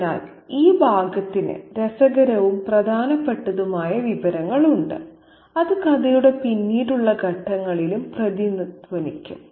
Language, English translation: Malayalam, So, this passage has interesting and important information that will have an echo at the later stages of the story too